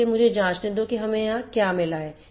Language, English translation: Hindi, So, let me check what we have got here